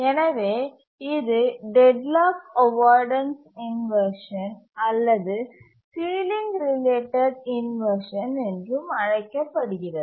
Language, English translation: Tamil, This is also called as deadlocked avoidance inversion or ceiling related inversion, etc